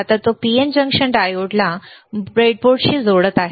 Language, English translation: Marathi, Now he is connecting PN junction diode to the breadboard